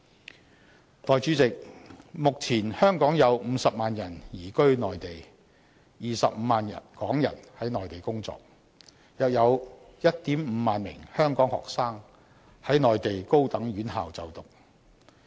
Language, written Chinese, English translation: Cantonese, 代理主席，目前香港有50萬人移居內地 ，25 萬港人在內地工作，另有約 15,000 名香港學生在內地高等院校就讀。, Deputy President at present 500 000 Hong Kong people have resided on the Mainland and 250 000 are working there . In addition 15 000 Hong Kong students are studying in Mainland tertiary institutions